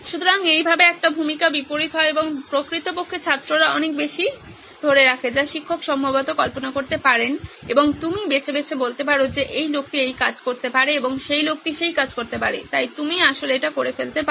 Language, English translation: Bengali, So this way there is a role reversal and actually the students end up retaining a lot lot more then what the teacher could have possibly imagined and you can be selective saying this guy can do this job and that guy can do that job, so you can actually do that